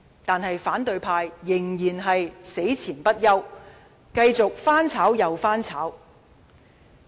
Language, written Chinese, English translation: Cantonese, 但是，反對派仍然死纏不休，繼續翻炒又翻炒。, But instead of giving up the opposition camp just kept repeating their questions again and again